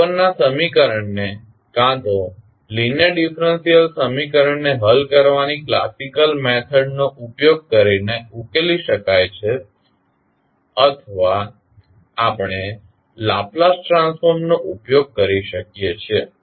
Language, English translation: Gujarati, Now, the above equation can be solved using either the classical method of solving the linear differential equation or we can utilize the Laplace transform